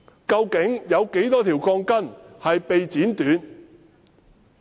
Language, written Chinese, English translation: Cantonese, 究竟有多少鋼筋被剪短？, How many steel bars have been cut short?